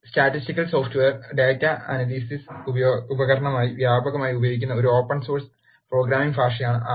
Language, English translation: Malayalam, R is an open source programming language that is widely used as a statistical software and data analysis tool